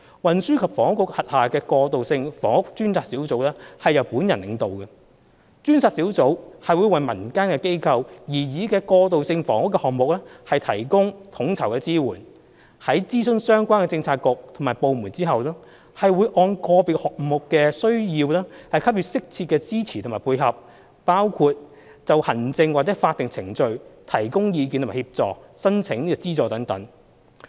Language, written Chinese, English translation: Cantonese, 運輸及房屋局轄下的過渡性房屋專責小組由本人領導。專責小組會為民間機構擬議的過渡性房屋項目提供統籌支援，在諮詢相關的政策局和部門後，按個別項目的需要給予適切的支持和配合，包括就行政或法定程序提供意見和協助申請資助等。, The Task Force on Transitional Housing Task Force under the Transport and Housing Bureau led by me seeks to provide coordinated support in consulation with relevant bureaux and departments for community initiatives on transitional housing depending on the needs of individual projects . Such support includes offering advice on administrative or statutory procedures as well as assistance in applying for funding